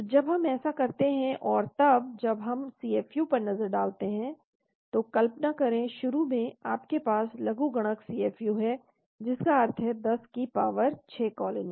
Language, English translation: Hindi, So when we do that and then when we do the look at the CFU, imagine initially you have logarithm CFU as 6 that means 10 power 6 colonies